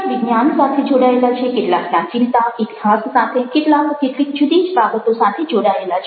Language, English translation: Gujarati, ok, some are associated with signs, some are associated with ancientness, history, some are associated with later, different other things